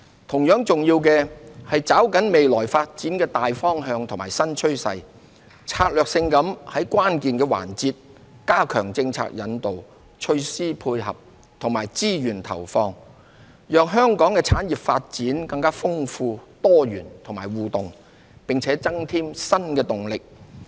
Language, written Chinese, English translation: Cantonese, 同樣重要的，是抓緊未來發展的大方向與新趨勢，策略性地在關鍵環節加強政策引導、措施配合及資源投放，讓香港的產業發展更豐富、多元和互動，並增添新動能。, It is equally important that we should grasp the major directions and new trends of future development to strategically enhance our policy steering support measures and resources allocation in key areas . This will not only bring new impetus to our industries but also enable them to have a more dynamic diverse and interactive development